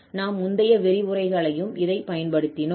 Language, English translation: Tamil, We have also used this in previous lectures